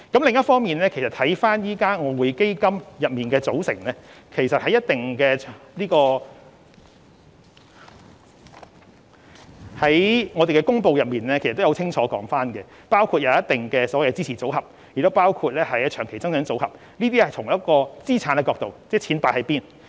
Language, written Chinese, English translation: Cantonese, 另一方面，就外匯基金的組成，我們已在相關公布中清楚說明，當中包括一定的支持組合，亦包括長期增長組合，這是從資產角度交代錢放在何處。, On the other hand as far as the composition of EF is concerned we have made it clear in the relevant announcement that it includes certain supporting asset portfolios as well as the Long Term Growth Portfolio and this serves to explain from the perspective of asset management where we have put our public money